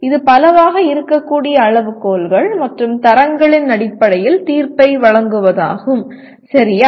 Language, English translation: Tamil, That is make judgment based on criteria and standards which can be many, okay